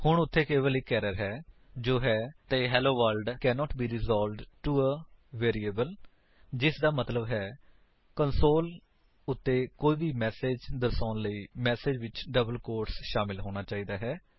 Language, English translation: Punjabi, There is only one error now which says: Helloworld cannot be resolved to a variable which means to display any message on the console the message has to be included in double quotes